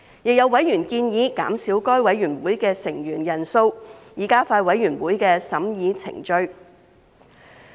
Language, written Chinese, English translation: Cantonese, 亦有委員建議減少該委員會的成員人數，以加快委員會的審議程序。, Some members also suggested reducing the membership size of SRC to expedite its approval procedure